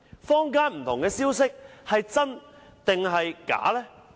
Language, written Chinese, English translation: Cantonese, 坊間不同的消息是真還是假？, Are the different rumours going around in the community true or not?